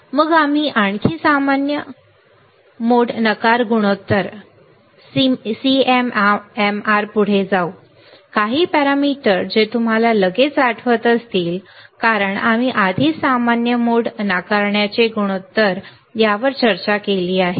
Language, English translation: Marathi, Then we go further common mode rejection ratio some of the parameter you will immediately recall, because we have already discussed common mode rejection ratio